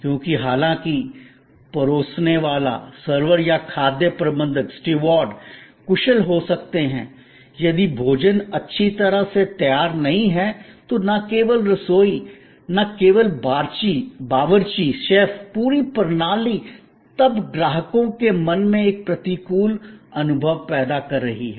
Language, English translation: Hindi, Because, however efficient the servers may be or the stewards may be, if the food is not well prepared, then not only the kitchen comes into play, not only the chef is then on the mate, the whole system is then creating an adverse experience in the customers perception in his or her mind